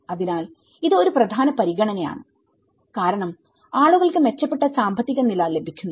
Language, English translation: Malayalam, So, this is one of the important considerations because and people are getting a better economic status